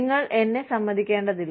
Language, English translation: Malayalam, You do not have to agree to me